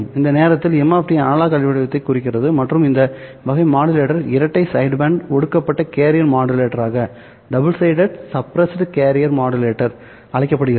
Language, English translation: Tamil, We are assuming that at this moment M of T represents an analog waveform and this type of a modulator is called as a double side band suppressed carrier modulator